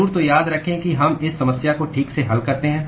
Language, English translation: Hindi, Sure, so remember that we solve this problem right